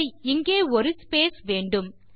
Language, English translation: Tamil, Okay, you need a space out there